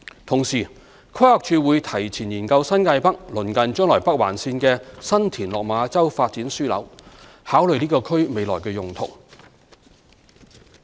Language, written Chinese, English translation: Cantonese, 同時，規劃署會提前研究新界北鄰近將來北環線的新田/落馬洲發展樞紐，考慮該區的未來用途。, In the mean time the Planning Department will conduct a study in advance on the development node at San TinLok Ma Chau near the future Northern Link in the New Territories North and consider the future use of the area